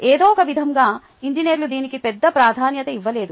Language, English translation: Telugu, somehow engineers have not given much importance to this